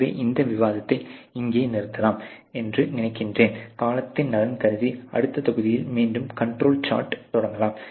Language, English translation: Tamil, So, I think I will stop this discussion here on control charts probably begin again in the next module in the interest of time